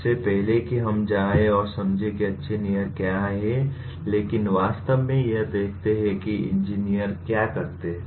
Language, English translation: Hindi, Before we go and understand what are good engineers but actually look at what do engineers do